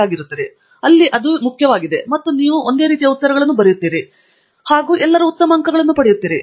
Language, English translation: Kannada, So that is the key and you write similar answers and you all get good marks